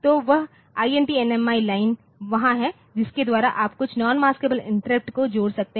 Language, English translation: Hindi, So, that INT, NMI line is there by on which you can connect some non maskable interrupt